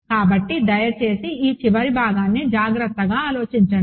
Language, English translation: Telugu, So, please think about this last part carefully